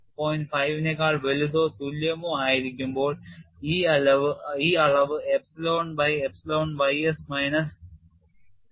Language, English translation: Malayalam, 5 this quantity, is equal to epsilon by epsilon ys minus 0